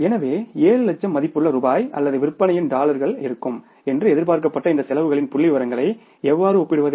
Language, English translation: Tamil, So, how can you compare these figures of the expenses which were expected to be there for the 7 lakh worth of rupees or dollars of the sales